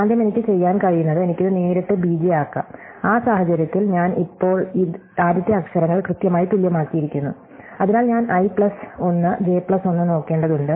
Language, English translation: Malayalam, So, in the first thing I can do is I can directly make this into b j, in which case I have now made the first letters exactly equal and so I just need to look at i plus 1 j plus 1